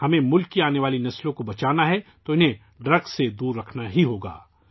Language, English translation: Urdu, If we want to save the future generations of the country, we have to keep them away from drugs